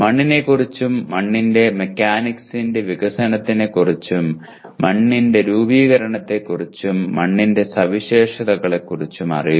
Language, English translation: Malayalam, Know about soil and development of soil mechanics and soil formation and characteristics of soil